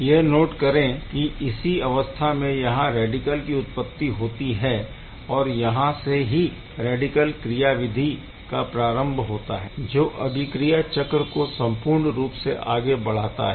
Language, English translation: Hindi, Note that this is where the radical is getting generated and that is the origin of the radical mechanism over all that we see over here